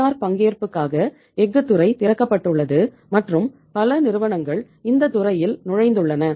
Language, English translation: Tamil, The steel sector is opened up for the say private participation and uh many companies have entered in this sector